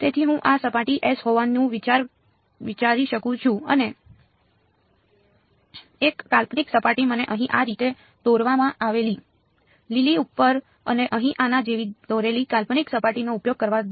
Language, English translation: Gujarati, So, I can think of this being the surface S and one imaginary surface let me use green over here drawn like this and an imaginary surface drawn like this over here ok